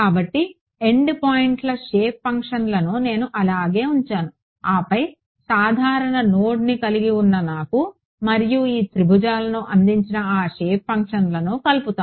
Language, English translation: Telugu, So, the endpoints shape functions I left them as it is and then whatever had a common node I combine those shape functions that gave me T 2 and T 3 these triangles